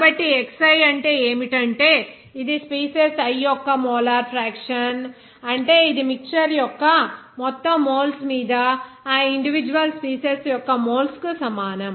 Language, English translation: Telugu, So, xi will be what, that is mole fraction of the species i that would be is equal to moles of that individual species upon total moles of the mixture